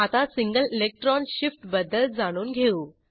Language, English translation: Marathi, Now lets move to single electron shift